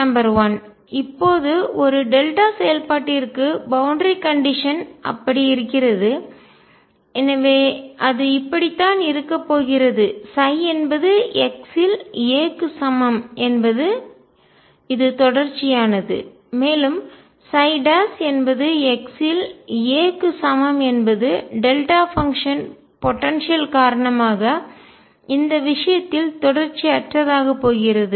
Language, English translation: Tamil, Number one: now the boundary condition is like that for a delta function so it is going to be that; psi at x equals a is continuous and also psi prime at x equals a is going to be discontinuous in this case, because of delta function potential